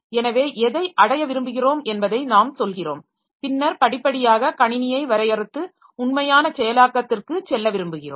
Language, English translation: Tamil, So, we tell what we want to achieve and then we want to go step by step refining the system and going to the actual implementation